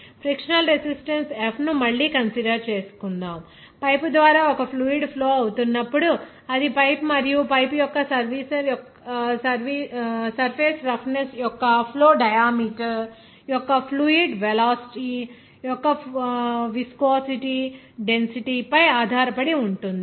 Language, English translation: Telugu, Let us considered a frictional resistance again that F when a liquid is flowing through a pipe that depends on the viscosity density of the fluid velocity of the flow diameter of the pipe and pipe surface roughness